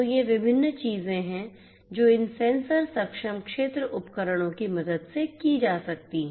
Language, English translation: Hindi, So, these are the different things that can be done with the help of these sensor enabled field devices